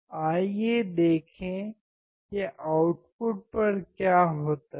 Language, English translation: Hindi, Let us see what happens at the output all right